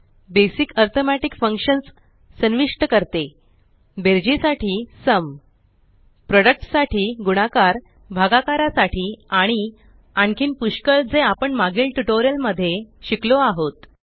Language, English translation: Marathi, Basic arithmetic functions include SUM for addition, PRODUCT for multiplication, QUOTIENT for division and many more which we have already learnt in the earlier tutorials